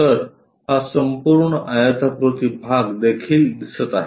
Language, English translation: Marathi, We are going to see this rectangle